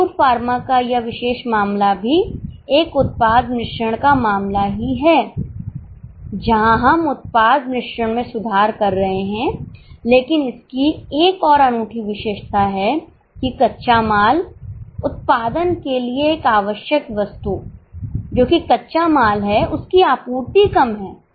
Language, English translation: Hindi, This particular case of Ayur pharma is also a product mix case where we are improving the product mix but it has one more unique feature that one of the raw material one of the items of production that is raw material is in short supply that's why all our decision making revolves around better utilization of raw material